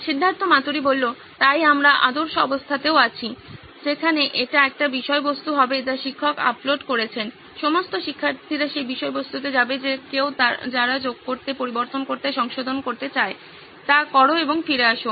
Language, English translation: Bengali, So we are also in ideal situation where it would be one content that teacher has uploaded, all the students would go through that content whoever who wants to add, edit, do the modification, do that and come back